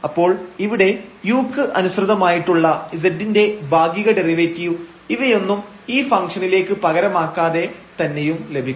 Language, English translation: Malayalam, So, we will have here the partial derivative of z with respect to u without substituting all these into this function and then getting this partial derivatives